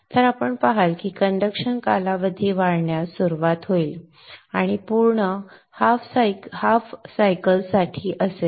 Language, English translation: Marathi, So you will see the conduction period will start increasing and it will be for the complete half cycle